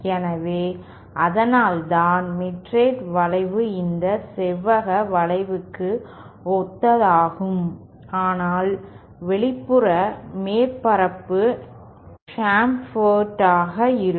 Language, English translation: Tamil, So, that is why he mitred bend a similar to this rectangular bend except that the outer surface is chamfered like this